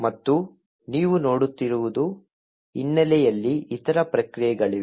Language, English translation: Kannada, And also, what you see is that there are other processes present in the background